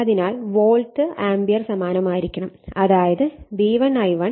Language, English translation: Malayalam, Therefore, the volt ampere must be same, if V1 I1 = V2 I2 therefore, V1 / V2 = I2 / I1